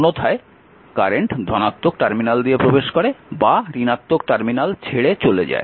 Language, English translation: Bengali, Otherwise current entering through the positive terminal or leaving through the negative terminal